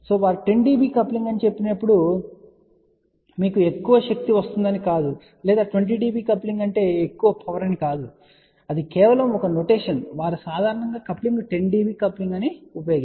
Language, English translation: Telugu, So, when they said 10 db coupling that does not mean that you will get more power or 20 db coupling means more power no that is just a notation they generally use that coupling is 10 db